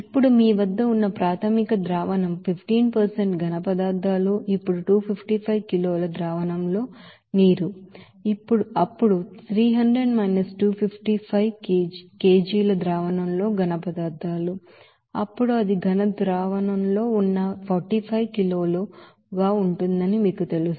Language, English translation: Telugu, Now initial solution that contains you know that 15% solids now water in solution that is 255 kg, solids in solution that is then 300 255 kg then it will be 45 kg that is in solid solution